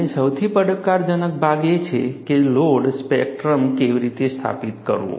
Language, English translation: Gujarati, And one of the most challenging part is, how to establish a load spectrum